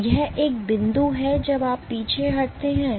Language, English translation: Hindi, So, that is point one when you retract